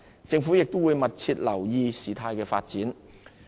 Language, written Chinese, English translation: Cantonese, 政府亦會密切留意事態發展。, The Government will continue to closely monitor further developments